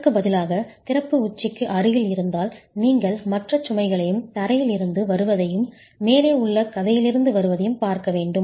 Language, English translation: Tamil, If instead the opening is close to the apex you will have to look at other loads as well coming from the floor and coming from the story above